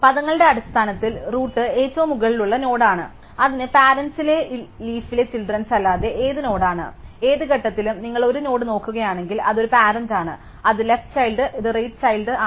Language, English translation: Malayalam, So, just in terms of terminology the root is the top most node, it has no parent, the leaf is any node which has no children and at any given point, if you look at a node, then it is a parent of it is left child and it is right child